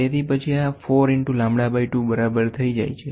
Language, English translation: Gujarati, So, then this becomes equal to 4 into lambda by 2